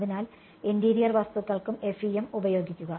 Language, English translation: Malayalam, So, use FEM for the interior objects and use